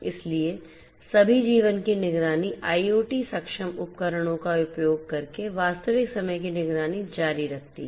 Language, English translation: Hindi, So, all of the life monitoring continues real time monitoring using IoT enabled devices is possible in the form